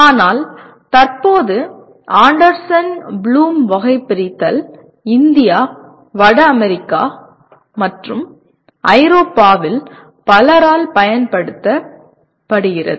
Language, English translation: Tamil, But at present Anderson Bloom Taxonomy is used by many in India, North America, and Europe